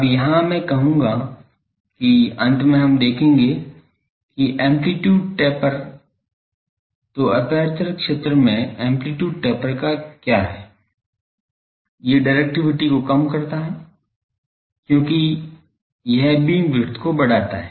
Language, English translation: Hindi, Now, here I will say that ultimately we will see that the amplitude taper what is the this that amplitude taper in the aperture field; these reduces the directivity because, this increases the beam width